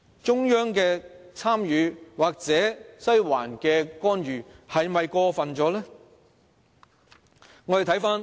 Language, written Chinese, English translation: Cantonese, 中央的參與或"西環"的干預是否太過分呢？, Is the involvement of the Central Authorities or interference of Western District way too excessive?